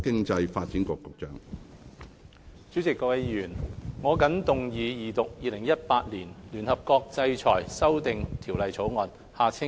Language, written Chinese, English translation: Cantonese, 主席、各位議員，我謹動議二讀《2018年聯合國制裁條例草案》。, President and Honourable Members I move the Second Reading of the United Nations Sanctions Amendment Bill 2018 the Bill